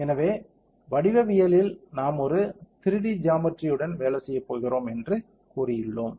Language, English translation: Tamil, So, in the geometry we have told that we are going to work on a 3D geometry correct